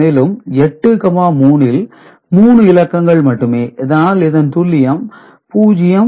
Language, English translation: Tamil, And 8, 3 three digits, so precision is 0